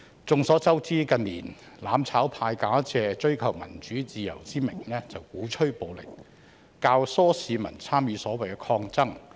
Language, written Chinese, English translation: Cantonese, 眾所周知，近年"攬炒派"假借追求民主自由之名，鼓吹暴力，教唆市民參與所謂的抗爭。, It is common knowledge that in recent years the mutual destruction camp under the pretext of pursuing democracy and freedom has been advocating violence and abetting the public in participating in the so - called resistance